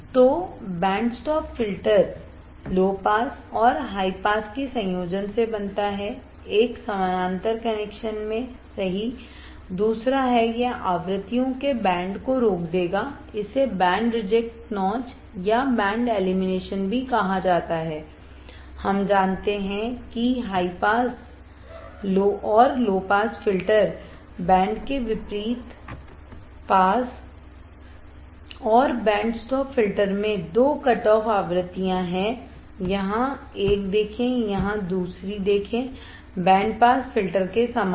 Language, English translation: Hindi, So, the band stop filter is formed by combination of low pass and high pass in a parallel connection right second is it will stop band of frequencies is also called band reject notch or band elimination, we know that unlike high pass and low pass filter band pass and band stop filters have two cutoff frequencies right see here 1, here 2 same way in band pass filter